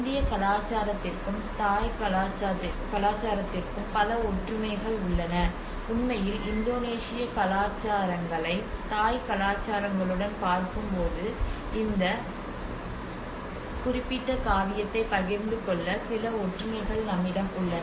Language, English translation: Tamil, There are many similarities between the Indian culture and the Thai culture, in fact, when you say even Indonesian cultures to Thai cultures, we have some similarities which shared this particular epic